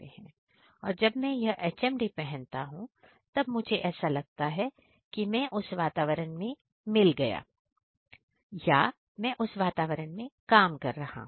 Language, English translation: Hindi, So, whenever I am wearing this particular HMD, so I am feeling that I am particularly working I am feeling that I am working inside that environment